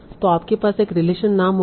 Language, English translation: Hindi, So you will have a relation name